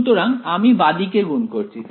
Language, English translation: Bengali, So, I am multiplying on the left hand side ok